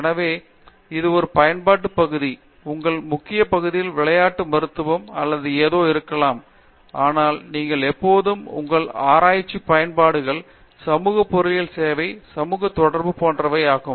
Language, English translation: Tamil, So, that is an application area, your core area may be sports medicine or something, but you can always associate a core engineering job, social with applications of what your research is